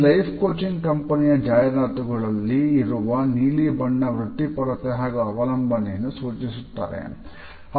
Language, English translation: Kannada, The blue in the advertisements of this life coaching company suggest professionalism as well as dependability